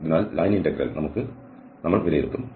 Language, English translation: Malayalam, So, this line integral we will evaluate